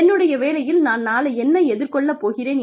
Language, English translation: Tamil, I am worried about, what i will face tomorrow, at work